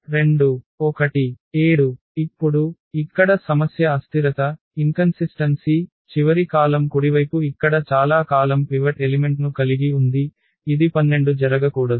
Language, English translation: Telugu, Now, the problem here is the inconsistency the last column the right most column here has a pivot element here this 12 which should not happen